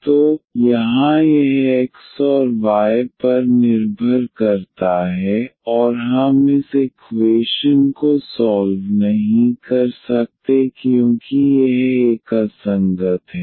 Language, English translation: Hindi, So, here this depends on x and y, and we cannot solve this equation because this is inconsistent now